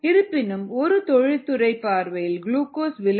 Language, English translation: Tamil, sometimes, however, from an industry prospector, a glucose is expensive